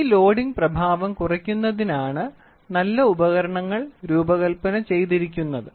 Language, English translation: Malayalam, Good instruments are designed to minimize the load effect